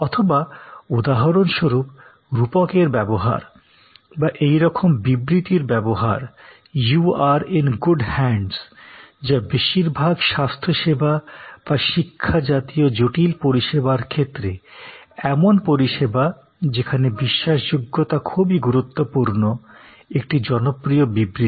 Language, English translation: Bengali, Or the use of metaphors for examples, or use of statements like you are in good hands, a very popular statement in most health care or education and such complex, credence based services